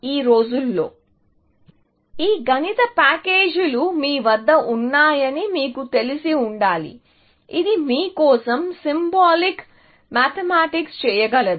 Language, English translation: Telugu, Nowadays, of course, you must be familiar that we have these mathematical packages, which can do symbolic mathematics for you